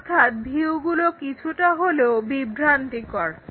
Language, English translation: Bengali, So, the views are in some sense misleading